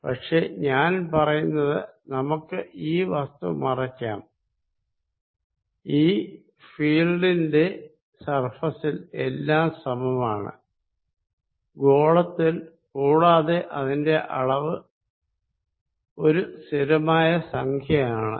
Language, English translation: Malayalam, But, what I give you is I hide that spherical body, I give you that on this surface the field is all the same on this spherical surface and it is magnitude is given by some constant